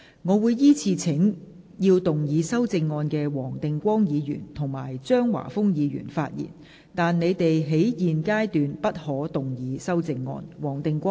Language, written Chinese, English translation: Cantonese, 我會依次請要動議修正案的黃定光議員及張華峰議員發言；但他們在現階段不可動議修正案。, I will call upon Members who move the amendments to speak in the following order Mr WONG Ting - kwong and Mr Christopher CHEUNG; but they may not move amendments at this stage